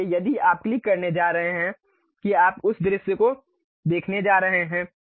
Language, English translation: Hindi, So, if you are going to click that you are going to see that view